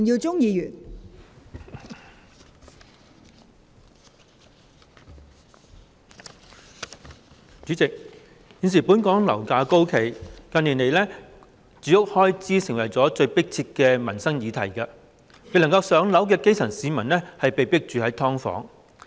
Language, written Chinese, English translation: Cantonese, 代理主席，現時本港樓價高企，住屋開支成為近年最迫切的民生議題，未能"上樓"的基層市民被迫居於"劏房"。, Deputy President at present property prices in Hong Kong have remained high and housing expenses have become the most pressing livelihood issue in recent years . Members of the grassroots who cannot move into public housing have no choice but to live in subdivided units